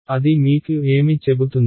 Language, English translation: Telugu, What does that tell you